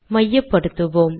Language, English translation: Tamil, Let me just center it